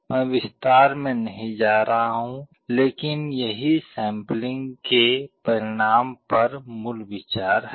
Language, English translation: Hindi, I am not going into detail, but this is the basic idea on the result of sampling